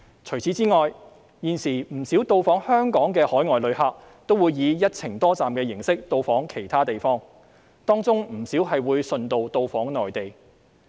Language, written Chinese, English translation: Cantonese, 除此之外，現時不少到訪香港的海外旅客會以"一程多站"形式到訪其他地方，當中不少會順道到訪內地。, Besides many inbound overseas tourists will visit other places on a one - trip multi - destination basis and many of them will visit the Mainland after coming to Hong Kong